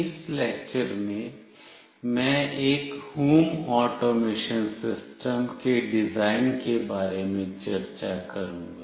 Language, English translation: Hindi, In this lecture, I will be discussing about the design of a Home Automation System